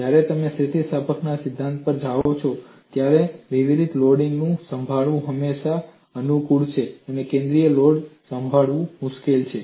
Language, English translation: Gujarati, When you come to theory of elasticity, it is always convenient to handle it distributed loading; concentrated loads are difficult to handle